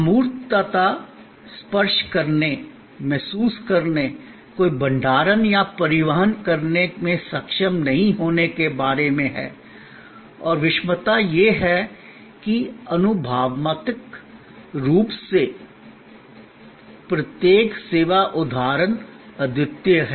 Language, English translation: Hindi, Intangibility is about not being able to touch, feel, no storage or transport and heterogeneity is that the experientially each service instance is unique